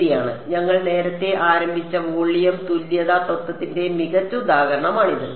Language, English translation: Malayalam, Right so this is the perfect example of volume equivalence principle which we have started earlier